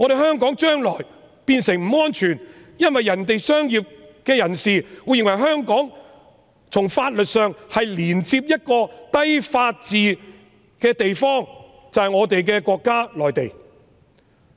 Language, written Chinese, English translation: Cantonese, 香港將來變得不安全，因為其他商界人士會認為，香港從法律上已連接一個低法治的地方，便是我們的國家——內地。, Hong Kong may become unsafe in the future in the sense that businessmen from other countries think that Hong Kong has legally been connected to a place with a low degree of rule of law which is our country Mainland China